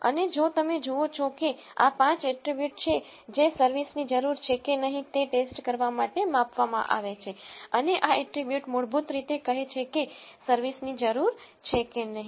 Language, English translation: Gujarati, And if you see these are the five attributes which are measured for testing whether the service is needed or not, and this attribute is basically saying if service is needed or not